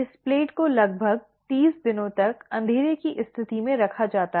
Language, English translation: Hindi, This plate is placed under dark condition for about 30 days